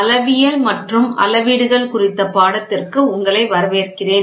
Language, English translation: Tamil, Welcome, to the course on Metrology and measurements